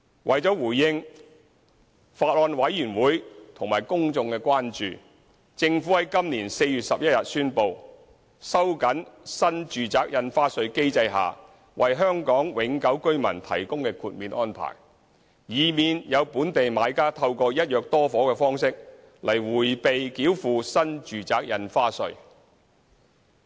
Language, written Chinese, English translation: Cantonese, 為了回應法案委員會及公眾的關注，政府在今年4月11日宣布，收緊新住宅印花稅機制下為香港永久性居民提供的豁免安排，以免有本地買家透過"一約多伙"的方式來迴避繳付新住宅印花稅。, In response to the concern of the Bills Committee and the public the Government announced on 11 April this year to tighten the exemption arrangement for HKPRs under the NRSD regime to prevent local buyers from evading NRSD by means of buying multiple flats under one agreement